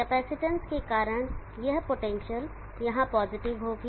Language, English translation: Hindi, This potential AR because of the capacitance will be positive